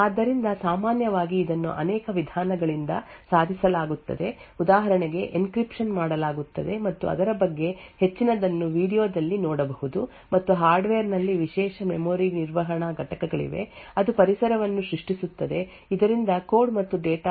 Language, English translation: Kannada, So typically this is achieved by multiple ways for example there is encryption which is done and will see more about it later in the video and also there is special memory management units present in the hardware which creates an environment so that confidentiality of the code and data in the enclave is achieved